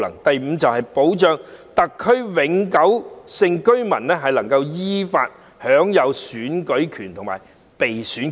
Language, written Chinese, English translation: Cantonese, 第五，保障特區永久性居民能夠依法享有選舉權和被選權。, The fifth one is to safeguard the right to vote and the right to stand for election of permanent residents of SAR